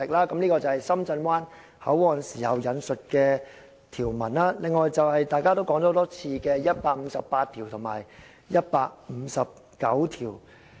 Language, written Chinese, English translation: Cantonese, "這些是制定《深圳灣口岸港方口岸區條例》時引述的條文；另外，就是大家提過很多次的《基本法》第一百五十八及一百五十九條。, These provisions were quoted when the Shenzhen Bay Port Hong Kong Port Area Ordinance was enacted . In addition the doors include Articles 158 and 159 of the Basic Law which have been mentioned by Honourable Members many times already